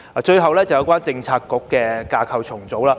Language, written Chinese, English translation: Cantonese, 最後是有關政策局的架構重組。, Finally it is related to the restructuring of Policy Bureaux